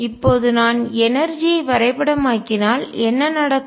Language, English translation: Tamil, What happens now if I would do plot the energy